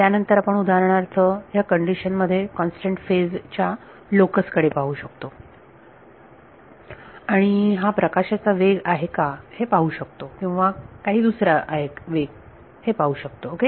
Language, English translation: Marathi, Then we can for example, in that condition look at the locus of constant phase and see is it speed of light or is it something else ok